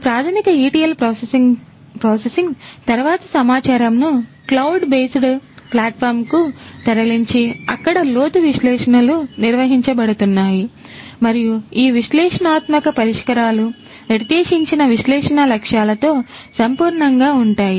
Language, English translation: Telugu, The data thereafter can be moved after this basic processing etl processing the data could be moved to the cloud based platform where in depth analytics is going to be performed and these analytic solutions are going to be commensurate with the analytics objectives that were set at the outset